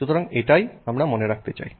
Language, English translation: Bengali, So, that is what we will see here